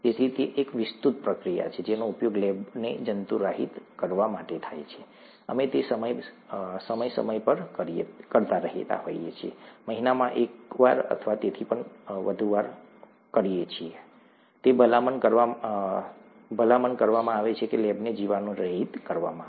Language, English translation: Gujarati, So it's an elaborate procedure that is used to sterilize the lab; we do it from time to time, may be once in a month or so, it is recommended that the lab is sterilized